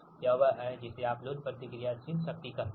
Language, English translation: Hindi, this is that your what you call load reactive power